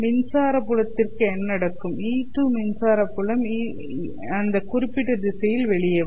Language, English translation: Tamil, The electric field E2 will also come out in this particular direction